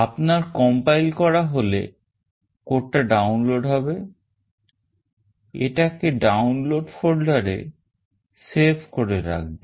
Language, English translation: Bengali, Once you compile then the code will get downloaded, save it in the Download folder